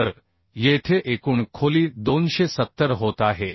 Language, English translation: Marathi, So here overall depth is becoming 270